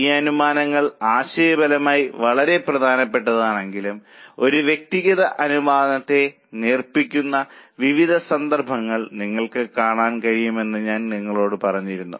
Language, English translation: Malayalam, I had told you that though these assumptions are very important conceptually, you will come across various cases where we dilute an individual assumption